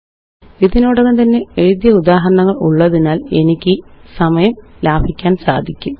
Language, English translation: Malayalam, I have the examples written already so as to save time